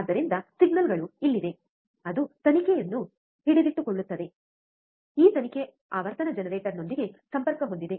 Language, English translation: Kannada, So, the the signals are here which is holding the probe, this probe is connected with the frequency generator